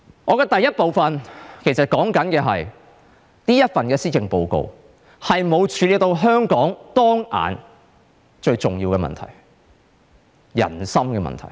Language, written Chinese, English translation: Cantonese, 我在第一部分要說的是，這份施政報告沒有處理到香港當前最重要的人心問題。, What I want to say in the first part of my speech is that the Policy Address has not dealt with the most important issue facing Hong Kong now and that is how to win peoples heart